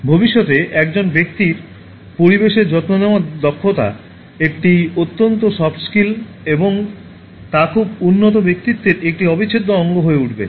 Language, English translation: Bengali, In the time to come, a person’s ability to care for the environment will become a crucial soft skill and an integral part of a very developed personality